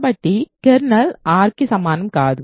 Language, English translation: Telugu, So, kernel is not equal to R